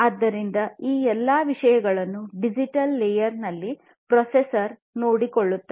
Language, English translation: Kannada, So, all of these things are taken care of in the digital layer by the processor